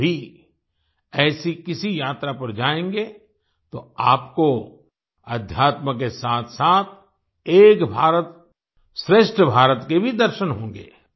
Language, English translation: Hindi, If you too go on such a journey, you will also have a glance of Ek Bharat Shreshtha Bharat along with spirituality